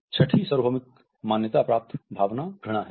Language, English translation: Hindi, The sixth universally recognized emotion is disgust